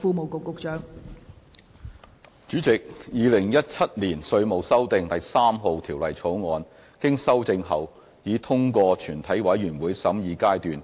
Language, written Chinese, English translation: Cantonese, 代理主席，《2017年稅務條例草案》經修正已通過全體委員會審議階段。, Deputy President the Inland Revenue Amendment No . 3 Bill 2017 has passed through the Committee stage with amendment